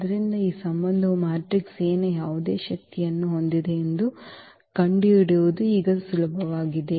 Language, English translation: Kannada, So, it is easy now to find having this relation any power of the matrix A